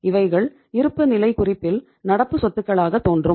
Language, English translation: Tamil, They are in the balance sheet as current assets